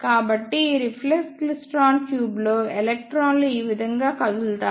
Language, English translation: Telugu, So, this is how electrons move in this reflex klystron tube